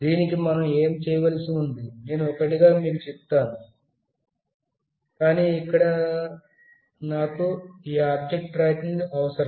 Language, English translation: Telugu, What is required to be done, I will tell you one by one, but this is where I need this object tracker